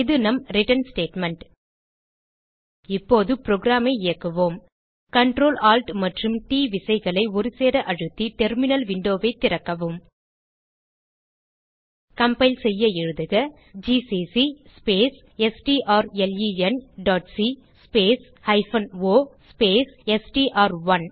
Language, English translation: Tamil, And this is our return statement Now let us execute the program Open the terminal window by pressing Ctrl, Alt and T keys simultaneously on your keyboard To compile Type: gcc space strlen.c space o space str1